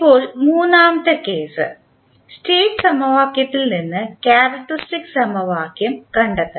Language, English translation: Malayalam, Now the third case, when you need to find out the characteristic equation from State equation